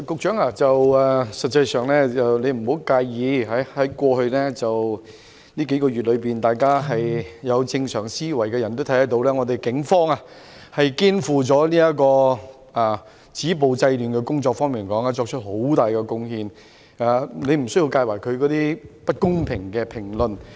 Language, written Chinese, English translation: Cantonese, 主席，局長你別介意，在過去幾個月，任何有正常思維的人均能看到警方在止暴制亂方面，作出了很大貢獻，你無須介懷外間不公平的評論。, Anyone in the right sense would have seen that the Police have in the past few months made great contributions in stopping violence and curbing disorder . Do not take the unfair comments too hard